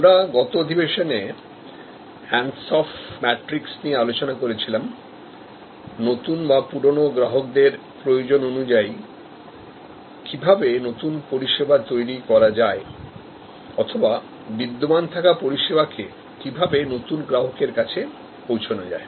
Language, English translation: Bengali, We discussed in the last session, the Ansoff matrix and how new service can be generated in response to the need of new customers or existing customers or existing service can be taken to new customers